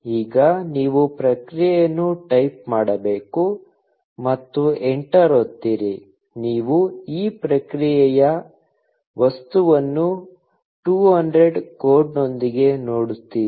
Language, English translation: Kannada, Now, you should type response and press enter; you see this response object with the code 200